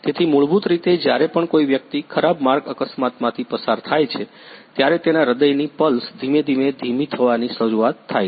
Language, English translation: Gujarati, So, basically whenever a person go through a bad road accidents, then his heart pulse gradually start slowing down